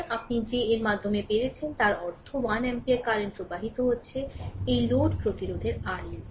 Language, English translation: Bengali, So, that you got through this that means, 1 ampere current is flowing through, this load resistance R L